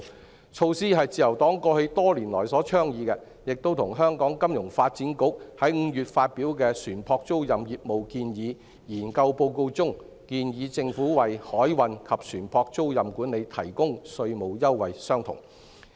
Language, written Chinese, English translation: Cantonese, 這項措施是自由黨過去多年所倡議的，亦與香港金融發展局在5月發表的《船舶租賃業務建議》研究報告中，建議政府為海運及船舶租賃管理提供稅務優惠相同。, This measure which has been advocated by the Liberal Party over the past few years is the same as the recommendation that the Government should provide a tax concession for maritime and ship leasing management made in the Maritime Leasing Paper released by the Hong Kong Financial Services Development Council FSDC in May